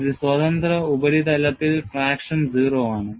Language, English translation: Malayalam, On a free surface, traction is 0